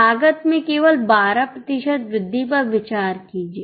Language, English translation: Hindi, We will just consider 12% rise in the cost